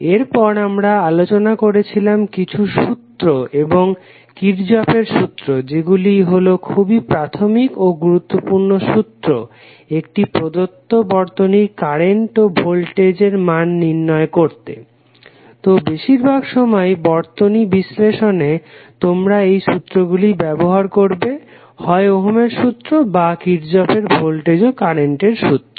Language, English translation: Bengali, Thereafter we discuss some law and Kirchhoff law which are the very basic and very important laws for the calculation of various current and voltage values in a given electrical circuit, so most of the time you would be using either ohms law or the Kirchhoff voltage or current law in your circuit analysis